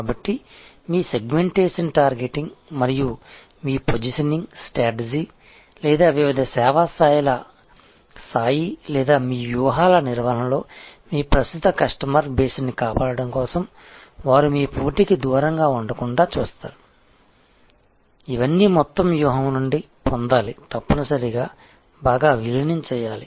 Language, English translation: Telugu, So, your segmentation targeting and positioning strategy or the tier of different service levels or churn management of your strategies is for protecting your existing customer base seeing that they do not go away to your competition all these must be derived out of the overall strategy and they must be intricately integrated well oven together